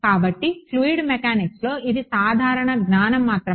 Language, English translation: Telugu, So, fluid mech fluid mechanics this is just sort of general knowledge